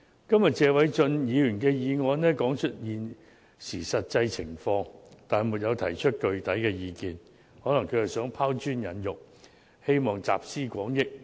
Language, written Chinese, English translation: Cantonese, 今天謝偉俊議員提出的議案說出了實際情況，但沒有提出具體意見，可能他是想拋磚引玉，希望集思廣益。, The motion moved by Mr Paul TSE today has only depicted the real situation without putting forward concrete views probably because he is trying to stimulate better ideas and draw on collective wisdom